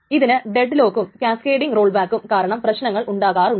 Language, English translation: Malayalam, This can suffer from the problems of both deadlock and cascading rollbacks